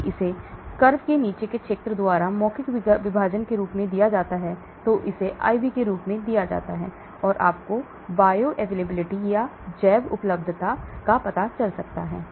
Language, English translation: Hindi, if it is given as oral divide by area under the curve and it is given as IV that gives you bioavailability